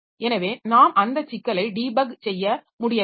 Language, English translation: Tamil, So we should be able to debug that facility, debug that problem